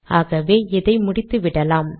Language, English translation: Tamil, So let me complete this